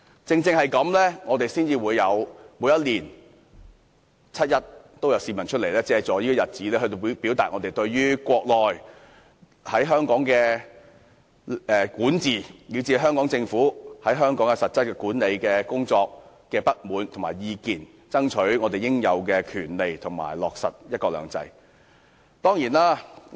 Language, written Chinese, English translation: Cantonese, 正因如此，每年七一均有市民上街，借助這個日子來表達他們對中國在香港的管治，以至對香港政府在香港的實質管理工作的不滿和意見，爭取他們應有的權利及落實"一國兩制"。, It is exactly because of this that people take to the streets on 1 July every year to express their discontent with and their views on Chinas governance of Hong Kong as well as the Hong Kong Governments actual administration of Hong Kong fight for the rights to which they are entitled and strive for the implementation of one country two systems